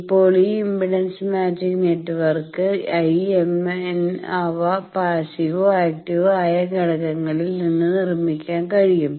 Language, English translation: Malayalam, Now, this impedance matching network, IMN they can be constructed from either passive or active components